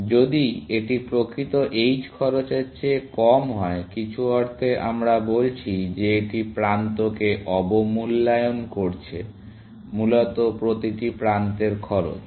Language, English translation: Bengali, If this is less than the actual h cost, in some sense, we are saying that it is underestimating the edge, every edge cost, essentially